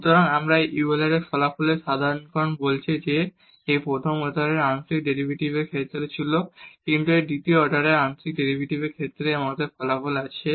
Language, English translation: Bengali, So, generalization of this Euler results says that so, this was in case of the first order partial derivatives, but we do have results in case of the second order partial derivatives as well